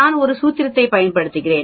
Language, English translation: Tamil, I want to know this area